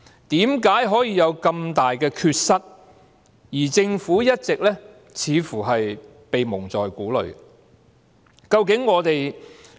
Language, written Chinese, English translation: Cantonese, 為何可以有這麼大的缺失，而政府卻似乎一直被蒙在鼓裏？, Why has the Government been seemingly kept in the dark over blunders of such magnitude?